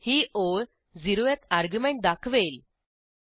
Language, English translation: Marathi, This line will display the 0th argument